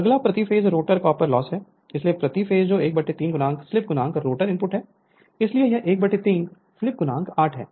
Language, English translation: Hindi, Next is rotor copper loss per phase, so per phase that is one third into slip into rotor input, so it is one third into slip into 8